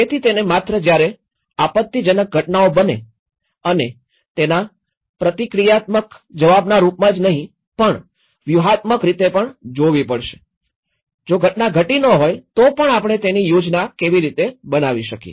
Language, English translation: Gujarati, So, one has to not only look at the if the event happens and then we respond to it, it should not be like that, one has to look at a strategic way, how even if the event is not had occurred how we can plan for it